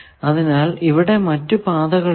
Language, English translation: Malayalam, So, there are two paths